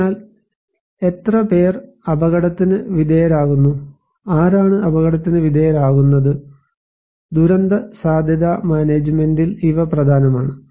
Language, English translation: Malayalam, So, how many people are exposed, who are exposed, these are important in disaster risk management